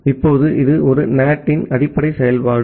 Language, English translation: Tamil, Now, this is the basic operation of a NAT